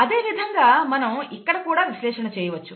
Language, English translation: Telugu, Similarly we can do an analysis here